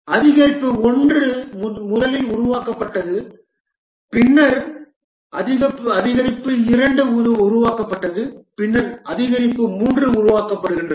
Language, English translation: Tamil, Increment, okay, increment 1 is first developed, then increment 2 is developed, then increment 3 gets developed